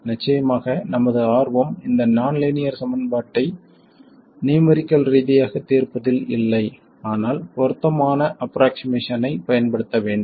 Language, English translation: Tamil, Of course our interest is not in numerically solving these nonlinear equations, but to use suitable approximations